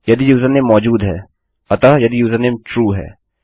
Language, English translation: Hindi, if the username exists so the username is true..